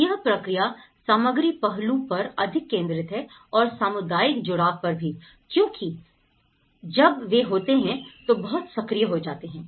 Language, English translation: Hindi, So, in this process, the material aspect is more focused and also the community engagement is also when they are; it’s very much active